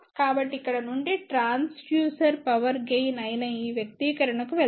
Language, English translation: Telugu, So, from here let us go to this expression here which is Transducer Power Gain